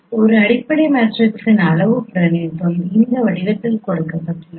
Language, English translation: Tamil, Then parametric representation of a fundamental matrix is given in this form